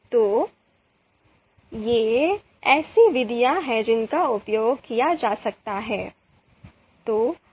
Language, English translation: Hindi, So, these are the methods which can be used